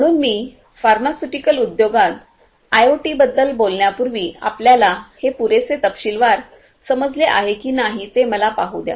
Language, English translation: Marathi, So, before I talk about IoT in pharmaceutical industry, let me see whether we understand this in detail enough